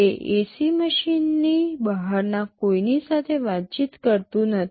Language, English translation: Gujarati, It does not interact with anybody outside that AC machine